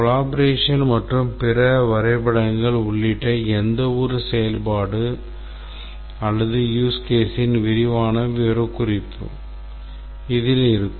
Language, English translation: Tamil, This will contain the detailed specification of each functionality or use case including collaboration and other diagrams